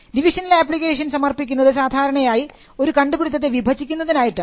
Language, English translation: Malayalam, A divisional application is normally filed to divide an invention